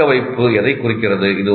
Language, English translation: Tamil, What does retention refer to